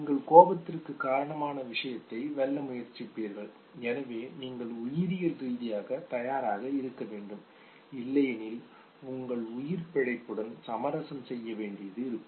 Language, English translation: Tamil, And you would try to know overpower the source of anger and therefore you have to be biologically ready, else you would be compromising with your survival